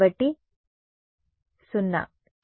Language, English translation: Telugu, So, 0 right